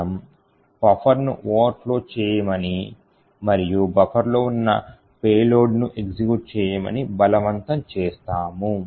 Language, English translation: Telugu, We force the buffer to overflow and the payload which was present in the buffer to execute